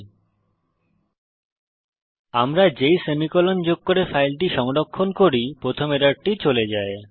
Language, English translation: Bengali, notice that once we add the semi colon and save the file, the first error is gone